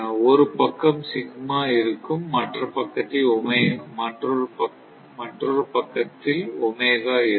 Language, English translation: Tamil, So, one side we made sigma, other side you make your what you call Omega